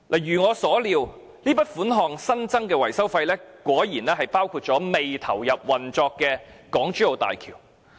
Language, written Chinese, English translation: Cantonese, 如我所料，這筆款項，即新增的維修費果然包括未投入運作的港珠澳大橋。, Exactly as I have expected this sum of money ie . the newly increased maintenance cost covered the HZMB which has yet to be commissioned